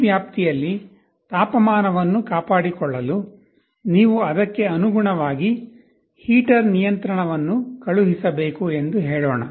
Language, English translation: Kannada, Let us say here, to maintain the temperature within this range, you have to send the heater control accordingly